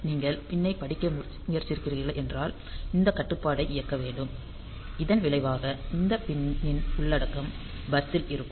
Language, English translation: Tamil, So, if you are trying to read the point; then this control has to be enabled as a result this pin content will be available on to the bus